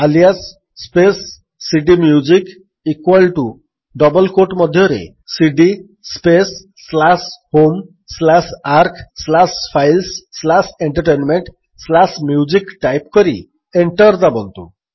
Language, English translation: Odia, Type: alias space cdMusic equal to within double quotes cd space slash home slash arc slash files slash entertainment slash music and press Enter